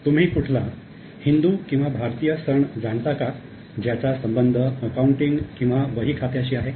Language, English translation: Marathi, Now do you know any Hindu or Indian festival which is associated with accounting or bookkeeping